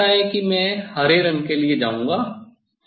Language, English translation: Hindi, Now, I will go for the I think green colour